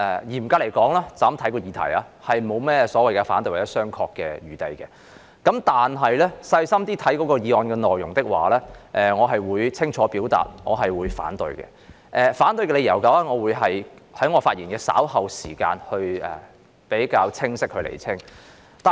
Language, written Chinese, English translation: Cantonese, 嚴格來說，單從議題來看並沒甚麼所謂反對或商榷的餘地，但細心閱讀議案內容的話，我會清楚表達反對，並會在稍後的發言中較為清晰地釐清我反對的理由。, Strictly speaking there is little leeway for opposition or discussion on the question alone . Yet after reading the content of the motion carefully I will unequivocally oppose the motion . I will then clearly explain why I oppose the motion in my ensuing speech